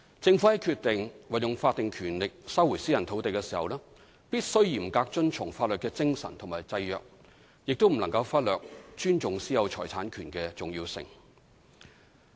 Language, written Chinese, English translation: Cantonese, 政府在決定運用法定權力收回私人土地時，必須嚴格遵從法律的精神和制約，亦不能忽略尊重私有財產權的重要性。, The Government must adhere strictly to the spirit of and the constraints imposed by the law and cannot neglect the importance of respecting the right of private ownership of property when deciding to exercise its statutory power to resume private land